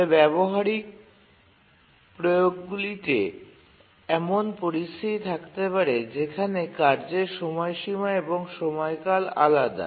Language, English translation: Bengali, But there can be situations in practical applications where the task deadline and period are different